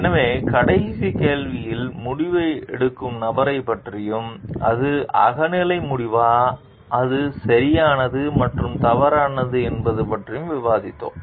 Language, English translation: Tamil, So, in the last question we discussed about the person who is making the decision and whether it is subjective decision and it is right and wrong